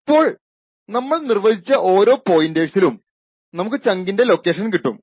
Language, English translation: Malayalam, Now corresponding to each of these pointers which we have defined we get the location of the chunk